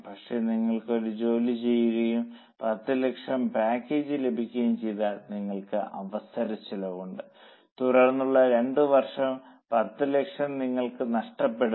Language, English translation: Malayalam, If you are doing a job and you are getting a package of say 10 lakhs, then two years 10 lakhs you are losing